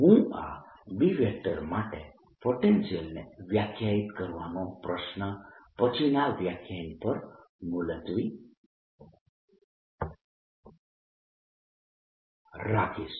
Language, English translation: Gujarati, i will postponed the question of defining a potential for b for later lecture